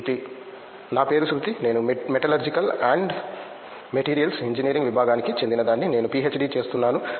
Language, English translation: Telugu, My name is Shruthi, I am from the Department of Metallurgical and Materials Engineering doing my PhD